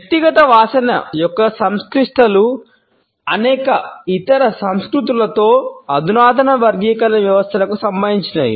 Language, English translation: Telugu, The complexities of the personal odor are the subject of sophisticated classification systems in many other cultures